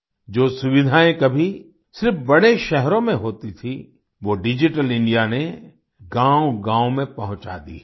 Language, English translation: Hindi, Facilities which were once available only in big cities, have been brought to every village through Digital India